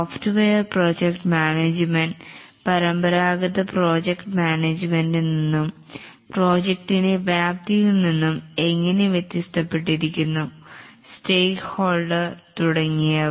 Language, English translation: Malayalam, How software project management is different from traditional project management and the scope of the project stakeholders and so on